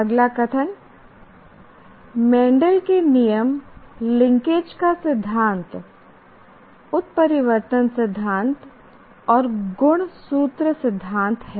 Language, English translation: Hindi, Have the concepts of Mendel's laws theory of linkage, a mutation theory and chromosome theory